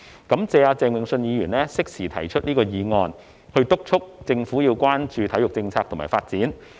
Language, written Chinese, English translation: Cantonese, 感謝鄭泳舜議員適時提出這項議案，敦促政府要關注體育政策和發展。, I thank Mr Vincent CHENG for his timely proposal of this motion to urge the Government to pay attention to the sports policy and development